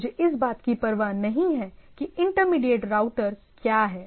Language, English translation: Hindi, So what we say that I do not care about what intermediate router is there